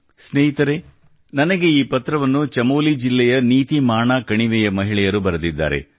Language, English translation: Kannada, Friends, this letter has been written to me by the women of NitiMana valley in Chamoli district